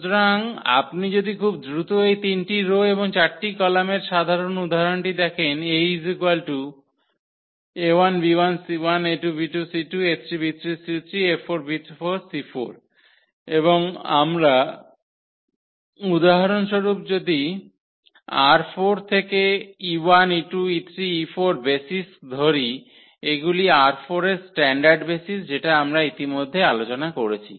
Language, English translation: Bengali, So, if you consider just quickly this simple example of this 3 rows and 4 columns and we take for instance the usual basis here e 1 e 2 e 3 e 4 from R 4 these are the standard basis of R 4 which we have already discussed before